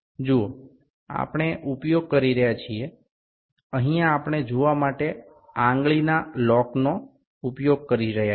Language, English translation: Gujarati, See we are using, here we using the finger lock to see